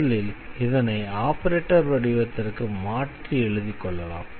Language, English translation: Tamil, So, first we need to write the equation in the operator form